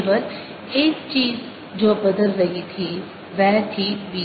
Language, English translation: Hindi, the only thing that was changing, that was b